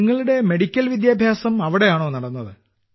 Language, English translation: Malayalam, Your medical education took place there